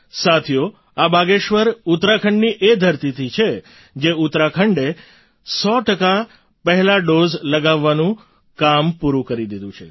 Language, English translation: Gujarati, Friends, she is from Bageshwar, part of the very land of Uttarakhand which accomplished the task of administering cent percent of the first dose